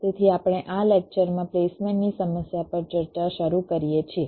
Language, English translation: Gujarati, so we start our discussion on the placement problem in this lecture